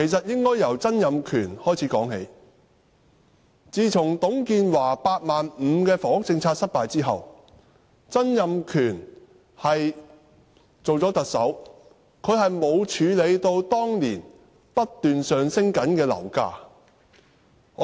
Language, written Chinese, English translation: Cantonese, 應該由曾蔭權說起，董建華的"八萬五"房屋政策失敗之後，曾蔭權擔任特首，但他沒有處理當時不斷上升的樓價。, We should trace back to Donald TSANG . Donald TSANG became the Chief Executive after TUNG Chee - hwas housing policy of building 85 000 units a year failed; however he did not address the problem of rising property prices back then